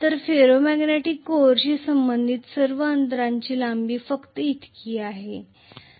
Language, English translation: Marathi, All that corresponds to ferro magnetic core, the gap length are only this much